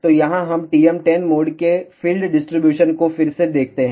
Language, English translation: Hindi, So, here let us see the field distribution of TM 1 0 mode again